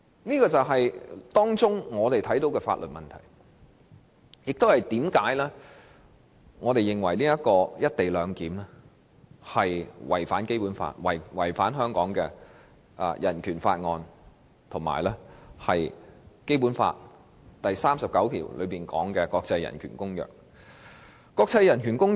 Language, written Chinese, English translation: Cantonese, 這便是我們看到《廣深港高鐵條例草案》的法律問題，亦說明我們為何認為"一地兩檢"違反《基本法》、《人權法案條例》，以及《基本法》第三十九條下訂明的《公約》。, For us this is a legal issue of the Guangzhou - Shenzhen - Hong Kong Express Rail Link Co - location Bill the Bill and for this reason we find the co - location arrangement in contravention of the Basic Law BORO and ICCPR under Article 39 of the Basic Law